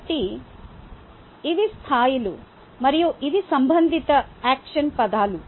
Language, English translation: Telugu, so these are the levels and these are the corresponding action words